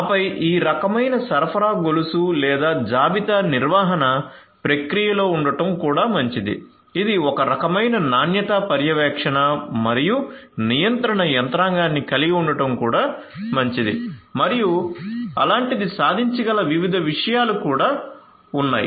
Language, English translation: Telugu, And then it would also be nice to have in this kind of you know supply chain or inventory management process it would be also nice to have some kind of quality monitoring and control mechanism and like that you know so there are different different things that could be that could be achieved